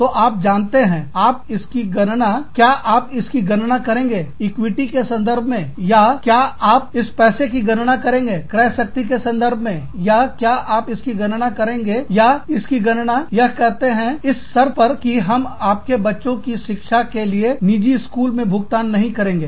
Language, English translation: Hindi, So, you know, will you calculate it, in terms of equitability, or will you calculate this money, in terms of the purchasing power, or will you calculate it, in terms of saying that, we will not pay for your children's education, in private schools